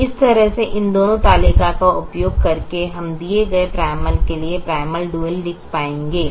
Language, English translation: Hindi, so this way, using both these tables, we will be able to write the, the primal, the, the dual for a given primal